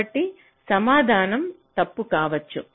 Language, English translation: Telugu, so the answer might be wrong